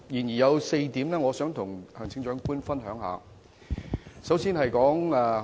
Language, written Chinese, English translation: Cantonese, 然而，我想與行政長官分享其中4點。, However there are four points that I would like to share with you